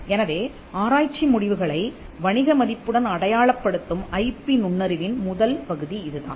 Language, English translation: Tamil, So, that is the first part of IP intelligence identifying research results with commercial value